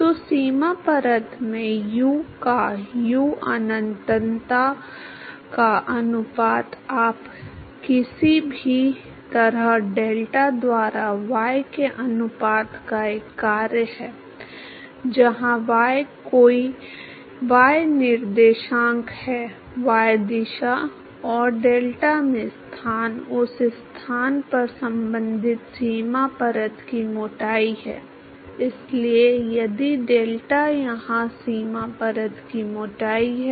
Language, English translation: Hindi, So, ratio of u by u infinity in the boundary layer you somehow a function of the ratio of the y by delta, where y is any y coordinate, the location in the y direction and delta is the corresponding boundary layer thickness at that location